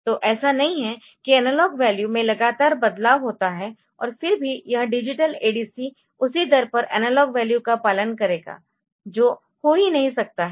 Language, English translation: Hindi, So, it is not that analog value changes continually and still this digital ADC will be following that value the analog value at the same rate that may not happen